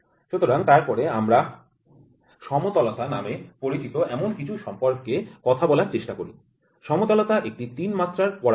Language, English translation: Bengali, So, then we try to talk about something called as flatness, the flatness is a 3D parameter